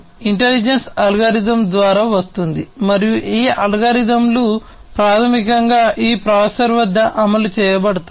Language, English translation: Telugu, So, intelligence come through algorithms, right and these algorithms can basically be executed at this processor